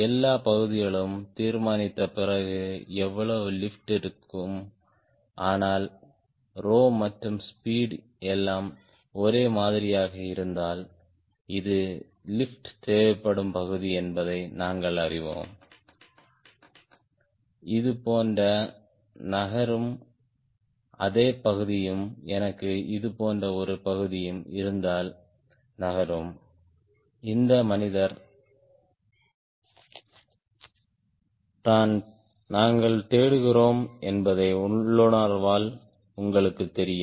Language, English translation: Tamil, but then we also know if this is the area is required for lift, if the rho and speed everything is same, that if i have same area like this moving and one same area like this moving, you know my intuitively that this man is what we are looking for